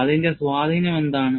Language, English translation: Malayalam, And what is its influence